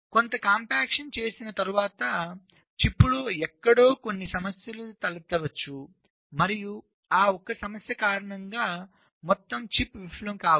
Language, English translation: Telugu, so after doing some compaction, well, there might be some problems arising somewhere in the chip and because of that single problem the entire chip might fail